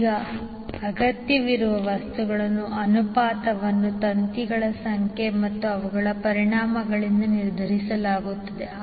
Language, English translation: Kannada, Now the ratio of material required is determined by the number of wires and their volumes